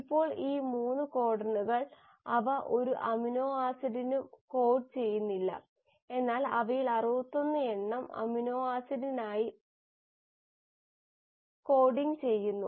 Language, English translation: Malayalam, Now these 3 codons, they do not code for any amino acid but you have 61 of them which are coding for amino acid